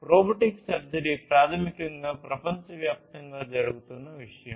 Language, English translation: Telugu, Robotic surgery is basically something that is happening worldwide